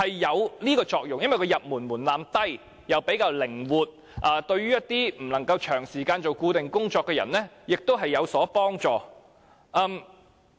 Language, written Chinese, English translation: Cantonese, 因為經營攤檔的門檻低，比較靈活，對於一些不能夠長時間做固定工作的人，實在有幫助。, Since the threshold for operating stalls is rather low and more flexible it will really be helpful to those who cannot engage in regular employment for a long period of time